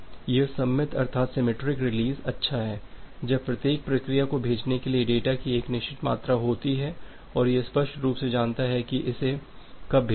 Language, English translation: Hindi, Now, this is good when this particular symmetric release is good when each process has a fixed amount of data to send and it clearly knows that when it has sent it